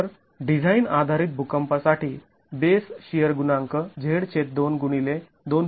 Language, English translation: Marathi, So, we're looking at the design basis earthquake of Z by 2